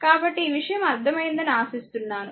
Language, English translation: Telugu, So, hope this thing you have understood, right